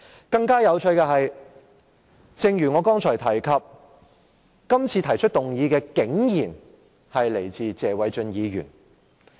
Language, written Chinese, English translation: Cantonese, 更有趣的一點是，正如我剛才提及，今次提出議案的竟然是謝偉俊議員。, A more interesting point is that is as I mentioned earlier the motion is proposed by Mr Paul TSE this time around